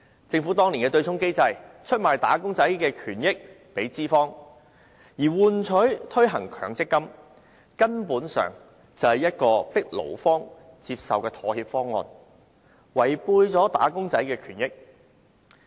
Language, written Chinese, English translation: Cantonese, 政府當年制訂對沖機制，出賣"打工仔"的權益給資方，以換取他們同意推行強積金，根本就是一個迫勞方接受的妥協方案，損害"打工仔"的權益。, Back then the Government formulated the offsetting mechanism and in doing so handed over wage earners interest to employers in exchange for the latters consent to implement MPF so that was essentially a compromise proposal that the labour side was forced to accept thus injuring wage earners interest